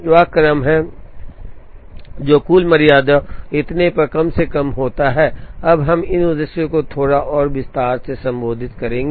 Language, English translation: Hindi, What is the sequence that minimizes total tardiness and so on, we will now address these objectives in a little more detail